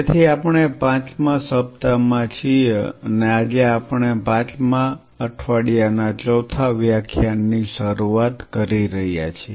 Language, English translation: Gujarati, So, we are on the fifth week and today we are initiating the fourth class of the fifth week